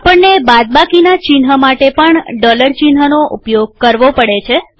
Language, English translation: Gujarati, We need to use dollar symbol for minus sign also